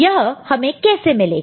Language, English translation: Hindi, And how we can get it